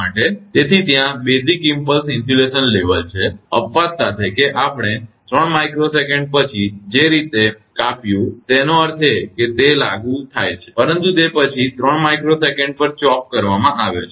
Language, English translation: Gujarati, So, there is basic impulse insulation level so, with the exception that the way we chopped after 3 micro second; that means, it is applied, but after that it is chopped at 3 micro second